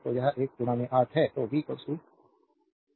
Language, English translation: Hindi, So, it is one into 8 so, v is equal to 1 into 8 8 volt